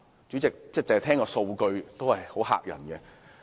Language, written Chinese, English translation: Cantonese, 主席，單聽數據，已很嚇人。, President the figures is simply stunning